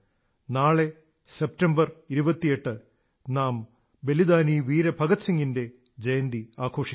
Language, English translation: Malayalam, Tomorrow, the 28th of September, we will celebrate the birth anniversary of Shahid Veer Bhagat Singh